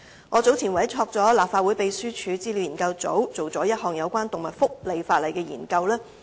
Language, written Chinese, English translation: Cantonese, 我早前曾委託立法會秘書處資料研究組進行一項有關動物福利法例的研究。, Earlier on I have commissioned the Research Office of the Legislative Council Secretariat to carry out a study on animal welfare legislation